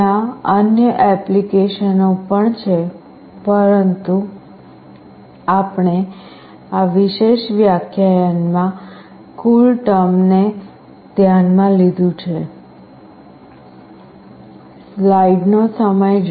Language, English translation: Gujarati, There are other applications as well, but we have considered CoolTerm in this particular lecture